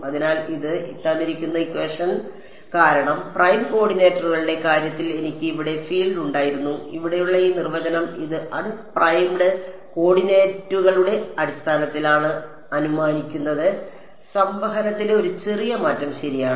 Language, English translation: Malayalam, That is because, I had the field here in terms of prime coordinates and this definition over here assumed it was in term of unprimed coordinates, just a small change in convection ok